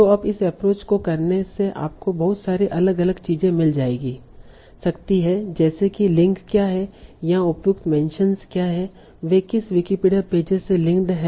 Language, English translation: Hindi, So now by doing this approach, you get to find a lot of different things like what are the links, what are the appropriate mentions here, what are the Wikipedia pages the link to, so you are getting some new Wikipedia pages also